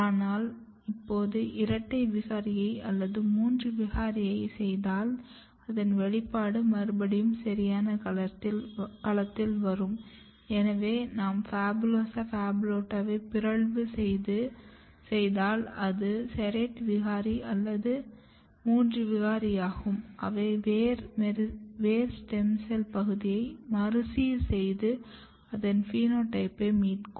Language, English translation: Tamil, But when you combine, when you make a double mutant, triple mutants, what you can see that they reappear their expression domain reappear in a right domain which means that now if you mutate PHABULOSA, PHABULOTA , there basically this mutant the serrate mutant or the triple mutant, they can reorganize their stem cell niche root stem cells niche and that is why they can rescue the phenotype